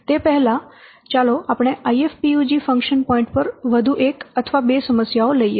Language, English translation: Gujarati, Before going to that, let's take one or two more problems, more examples on this IFPUG function points